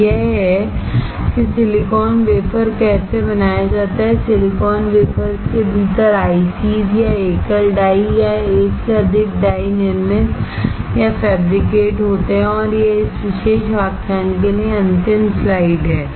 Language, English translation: Hindi, So, this is how the silicon is wafer is made and the ICs or single die or multiple dies within the silicon wafers are manufactured or fabricated and this is the last slide for this particular lecture